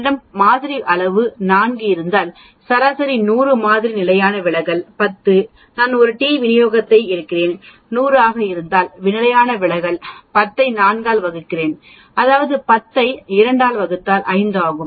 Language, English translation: Tamil, If I have a sample size of 4, mean is 100, sample standard deviation is 10, then when I do a t distribution mean is still 100, the standard deviation will be 10 divided by 4 that is 10 by 2 which is 5